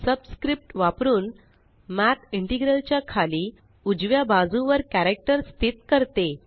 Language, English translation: Marathi, Using the subscript, Math places the character to the bottom right of the integral